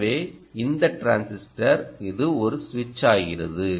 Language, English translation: Tamil, so this transistor is switching like that, right